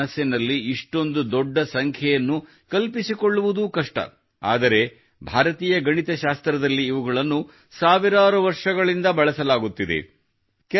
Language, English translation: Kannada, Even if we imagine such a large number in the mind, it is difficult, but, in Indian mathematics, they have been used for thousands of years